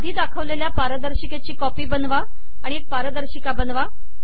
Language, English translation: Marathi, Make a copy of the earlier shown slide and do it again